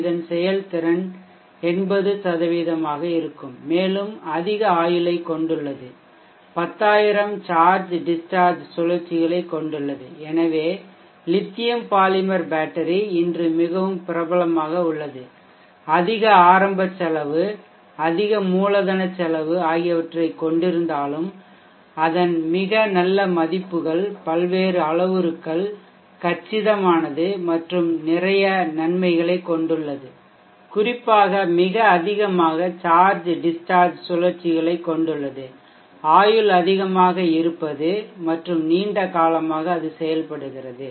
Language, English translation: Tamil, It has a watt over efficiency of around 80% and quite high life in terms of number of charged discharged cycles around 10000 so if you see the lithium polymer battery is very popular today because of its very nice numbers that it has so the various parameters and even though it has a high initial cost high capital cost it is compact and has a lot of advantages especially the number of charged discharged cycles the life being high